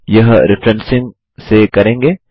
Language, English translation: Hindi, This will be done by referencing